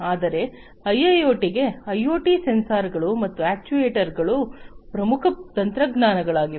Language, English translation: Kannada, But for IIoT as well, like IoT sensors and actuators are the core technologies